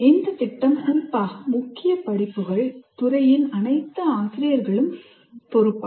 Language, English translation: Tamil, And the program, especially the core courses, is the responsibility for all faculty in the department